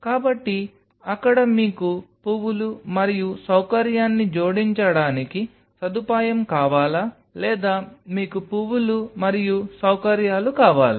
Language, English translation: Telugu, So, there is do you want provision to attach flowers and facility or do you want the flowers and facility